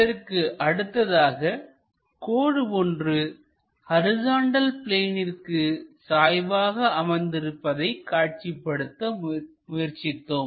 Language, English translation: Tamil, Similarly, we are try to look at a line which is parallel to both horizontal plane and vertical plane